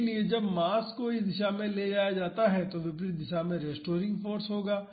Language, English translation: Hindi, So, when the mass is moved in this direction there will be restoring force in the opposite direction